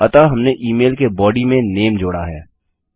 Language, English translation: Hindi, So we have included the name inside the body of the email